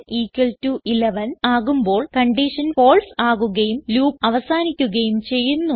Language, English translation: Malayalam, When n = 11, the condition fails and the loop stops